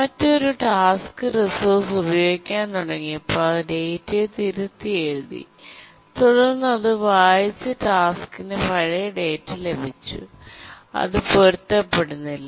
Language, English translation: Malayalam, Then another task which started using the resource overwrote the data and then the task that had read it has got the old data